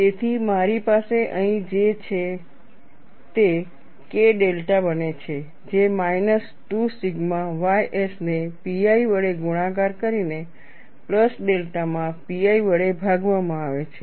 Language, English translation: Gujarati, So, what I have here is, it becomes K delta equal to minus 2 sigma ys multiplied by pi into a plus delta divided by pi between the limits